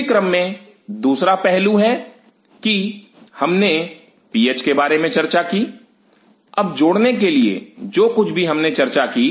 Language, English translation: Hindi, Second aspect in that line is that we have talked about the PH, now to add up what all we have talked about